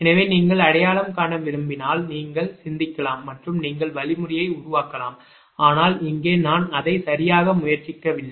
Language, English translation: Tamil, so if you want how to identify, you can think and you can make the algorithm, but here i am not trying it, right